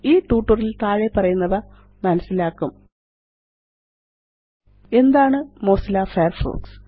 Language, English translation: Malayalam, In this tutorial,we will cover the following topic: What is Mozilla Firefox